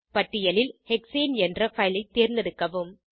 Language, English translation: Tamil, Select the file named Hexane from the list